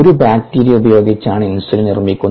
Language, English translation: Malayalam, ah, insulin is made by using bacteriumthey have taken the insulin gene